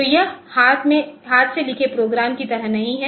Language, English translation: Hindi, So, it is no more like hand written program